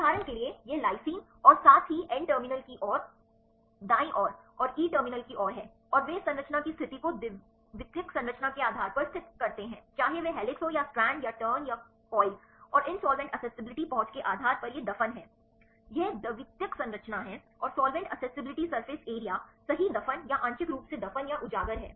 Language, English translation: Hindi, For example, this lysine as well as on the right side towards n terminal and towards e terminal and they located the position of this valine based on secondary structure whether it is helix or strand or turn or coil and based on these solvent accessibility it is burried; this is secondary structure and a solvent accessibility surface area right burried or partially burried or exposed